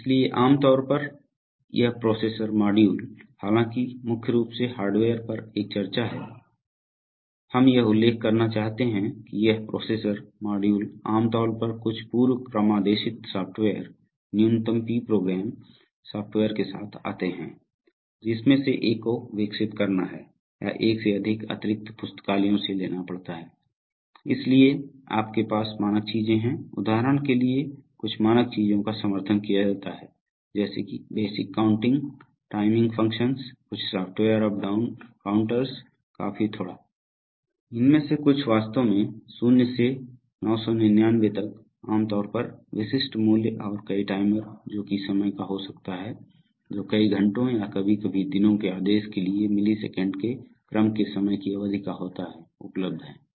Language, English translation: Hindi, So typically this processor modules though this is mainly a discussion on hardware, we are, we would like to mention that this typically this processor modules come with some pre programmed software, minimal P program software, more than that one has to develop or one has to take from additional libraries, so you have standard things that, some standard things are supported like for example basic counting timing functions, some software up down counters, quite a bit, quite a few of them actually from 0 to 999 typically, typical value and several timers which can time of, which can time durations of the order of milliseconds to order, to of the order of several hours or even sometimes days, are available